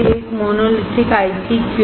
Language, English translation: Hindi, Why a monolithic IC